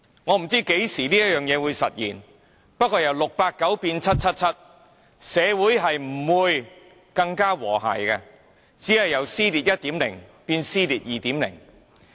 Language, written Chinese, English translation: Cantonese, 我不知這事何時會實現，但由 "689" 變成 "777"， 社會不會更和諧，只會由"撕裂 1.0" 變為"撕裂 2.0"。, I have no idea when this will become a reality but it is for sure that our society will not be a more harmonious one even after 777 takes the place of 689 . Instead it will transform from Division 1.0 to Division 2.0